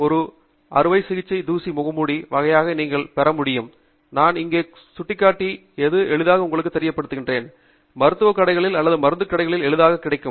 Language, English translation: Tamil, So, this is a simple dust mask which is a surgical dust mask kind of thing that you can get, which I am pointing out here, and this is easily available in many, you know, medical stores or drug stores